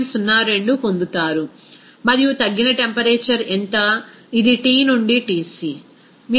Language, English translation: Telugu, 02, and what would be the reduced temperature, this is T by Tc